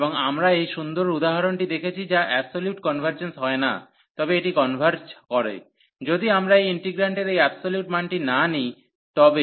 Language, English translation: Bengali, And we have seen this nice example which does not converge absolutely, but it converges, if we do not take this absolute value for the integrant